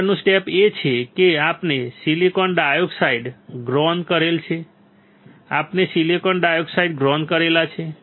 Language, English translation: Gujarati, Next step is we have grown silicon dioxide correct we have grown silicon dioxide